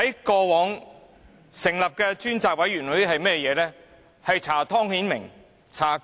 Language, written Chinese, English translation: Cantonese, 過往成立的專責委員會做了些甚麼？, What the select committees established previously have done?